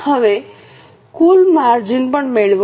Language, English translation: Gujarati, Now also get the total margin